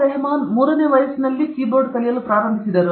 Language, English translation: Kannada, Rahman started learning key board at the age of 3 right